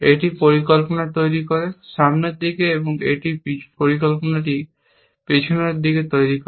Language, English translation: Bengali, It constructs plan also, in the forward direction, and this one, constructs the plan in backward direction